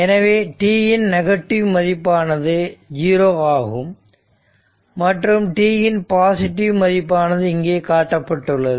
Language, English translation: Tamil, So, negative value of t it is 0 and for positive value of t it is shown right